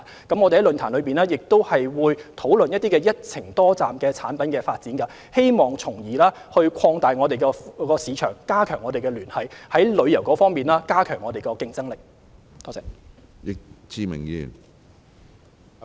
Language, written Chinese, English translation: Cantonese, 我們在論壇上，亦會討論一些"一程多站"的產品發展，希望從而擴大市場，加強聯繫，提高我們在旅遊方面的競爭力。, In the forum discussions will be held on developing multi - destination tourism products with a view to expanding the market and strengthening connections so as to enhance the competitiveness of our tourism industry